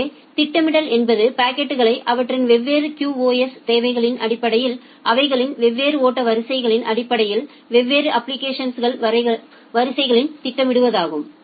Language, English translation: Tamil, So, the scheduling means scheduling the packets in different application queues based on our different flow queues based on their QoS requirements ok